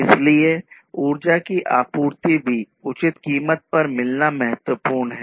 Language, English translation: Hindi, So, it is required to have energy supply also at reasonable price